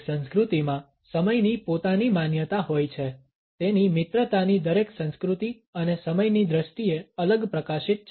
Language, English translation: Gujarati, Every culture has his own perception of time every culture of his friendship and a perception of time in a separate light